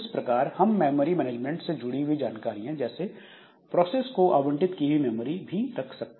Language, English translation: Hindi, So, that way we can have some memory management related information like memory allocated to the process